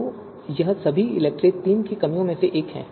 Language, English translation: Hindi, So this is also one of the drawback of ELECTRE third